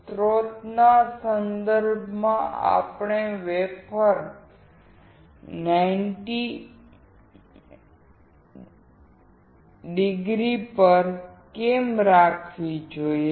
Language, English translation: Gujarati, Why do we have to keep the wafer at 90o with respect to source